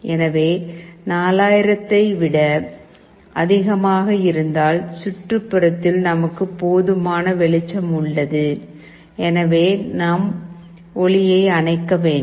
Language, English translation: Tamil, So, greater than 4000 means we have sufficient light in the ambience, and we have to switch OFF the light